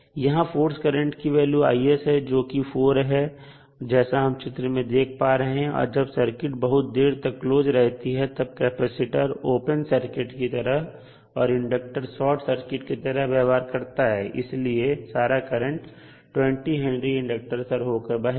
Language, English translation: Hindi, so here I s is equal to 4 this is what we can see from the figure when the circuit is the switch is closed for very long period the capacitor will be acting as a open circuit and the whole current will flow through 20 henry inductor